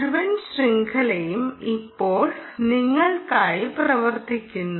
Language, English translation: Malayalam, ah, the whole chain is now up and running for you